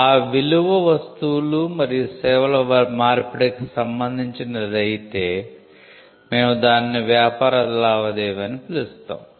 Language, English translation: Telugu, So, if the value pertains to the exchange of goods and service then, we call that a business transaction